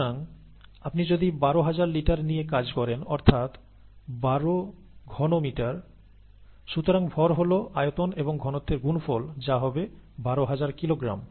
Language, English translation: Bengali, So if you are dealing with twelve thousand litres, that is twelve meter cubed, right, and therefore, the mass is volume into density, which would be twelve thousand kilograms